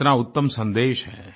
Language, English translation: Hindi, What a fine, purposeful message